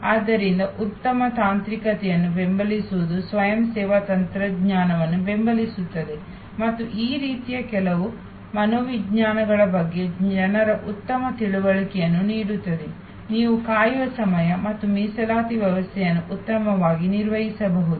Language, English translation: Kannada, So, creating good technological supports self service technologies and a training people good understanding of the few psychologies like this you can manage the waiting time and the reservation system much better